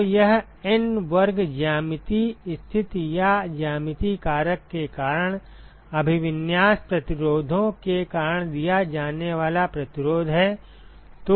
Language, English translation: Hindi, So, this N square is the resistance offered because of orientation resistances due to geometric positions or geometric factor